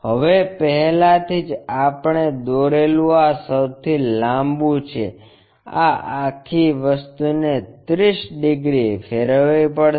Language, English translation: Gujarati, Now, already this longest one we have constructed, this entire thing has to be rotated by 30 degrees